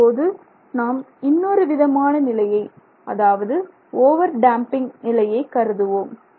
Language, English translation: Tamil, Now we will look at the other extreme which is considered as the over damped condition